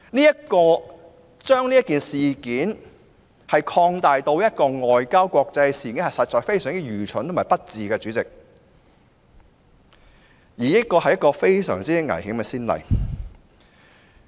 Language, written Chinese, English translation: Cantonese, 主席，將這件事件提升至國際外交層面，實屬非常愚蠢及不智，這亦是一個非常危險的先例。, President it is indeed very foolish and unwise to elevate the incident to the international and diplomatic level . This has also set a very dangerous precedent